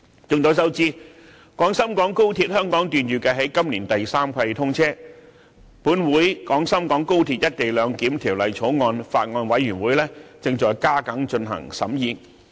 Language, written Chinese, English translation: Cantonese, 眾所周知，廣深港高鐵香港段預設在今年第三季通車，本會《廣深港高鐵條例草案》委員會正在加緊進行審議。, As we all know the Hong Kong section of XRL is scheduled to be commissioned in the third quarter this year . The Bills Committee on Guangzhou - Shenzhen - Hong Kong Express Rail Link Co - location Bill of this Council is holding deliberations in earnest